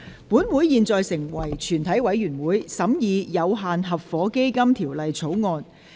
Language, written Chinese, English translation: Cantonese, 本會現在成為全體委員會，審議《有限合夥基金條例草案》。, The Council now becomes committee of the whole Council to consider the Limited Partnership Fund Bill